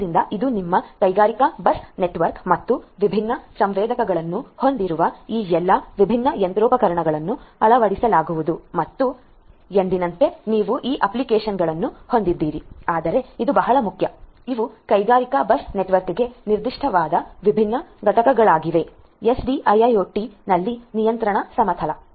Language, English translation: Kannada, So, this is your industrial bus network and to which all this different machinery with different sensors etcetera are going to be fitted and as usual on top you have these applications, but this is very important these are the different components specific to industrial bus network for the control plane in SDIIoT